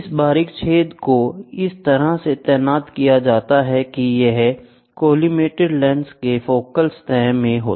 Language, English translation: Hindi, The pinhole is positioned in such a way in the focal plane of the collimated lens